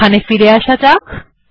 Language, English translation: Bengali, Lets go back here